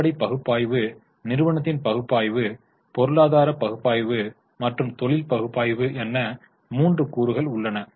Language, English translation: Tamil, In fundamental analysis there are three components, company analysis, economy analysis and industry analysis